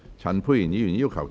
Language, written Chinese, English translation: Cantonese, 陳沛然議員反對。, Dr Pierre CHAN voted against the motion